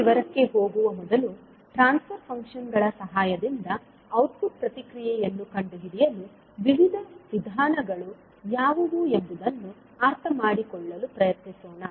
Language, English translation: Kannada, So, before going into that detail, let us try to understand that what are the various approaches to find the output response with the help of transfer functions